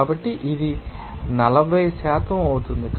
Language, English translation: Telugu, So, this will be your 40%